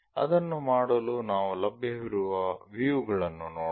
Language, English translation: Kannada, To do that let us look at the views available